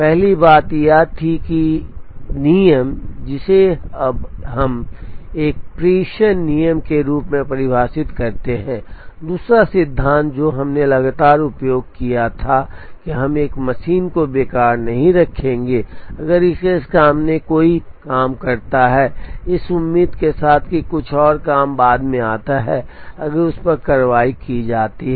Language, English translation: Hindi, The first thing was the rule, which we now defined as a dispatching rule, the second principle that we used consistently was that we would not keep a machine idle, if there are jobs waiting front of it, with the hope that some other job that comes later if that is processed